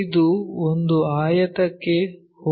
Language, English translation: Kannada, This one goes to a rectangle